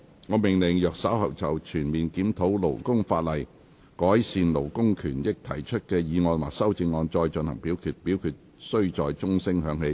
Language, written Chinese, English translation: Cantonese, 我命令若稍後就"全面檢討勞工法例，改善勞工權益"所提出的議案或修正案再進行點名表決，表決須在鐘聲響起1分鐘後進行。, I order that in the event of further divisions being claimed in respect of the motion on Conducting a comprehensive review of labour legislation to improve labour rights and interests or any amendments thereto this Council do proceed to each of such divisions immediately after the division bell has been rung for one minute